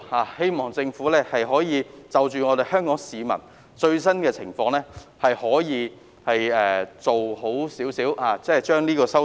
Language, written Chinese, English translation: Cantonese, 我希望政府可以就香港市民的最新情況，妥善作出有關修訂。, I hope that the Government can make the relevant amendments properly in the light of the latest situation of Hong Kong people